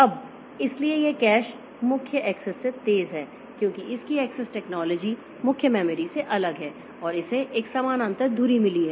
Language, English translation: Hindi, Now, so this cache is faster than main memory because of its access technology that is different from main memory and it has got a parallel access